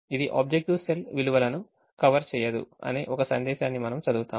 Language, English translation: Telugu, we we will read a message which says the objective cell values do not converge